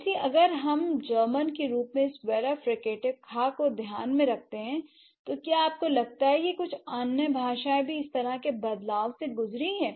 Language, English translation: Hindi, So, if we take into account this Wheeler Fricative, as in German, do you think some other languages have also gone through similar kind of changes